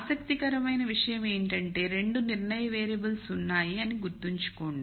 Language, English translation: Telugu, Notice something interesting remember there are 2 decision variables